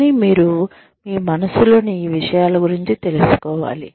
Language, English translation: Telugu, But, you do need to know, about these things, in your mind